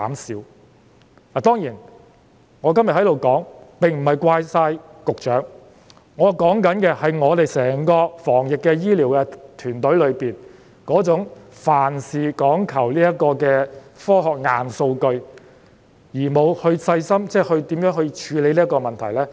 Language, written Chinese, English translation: Cantonese, 當然，今天我在這裏不是要完全怪責局長，我想指出的，是整個防疫團隊的問題，即那種凡事只講科學硬數據，而沒有細心考慮如何處理問題的情況。, Well today I am not trying to put all the blame on the Secretary . All I want is to pinpoint the problem of the entire anti - epidemic team and that is their approach of emphasizing only science and hard data without careful consideration of the ways to address problems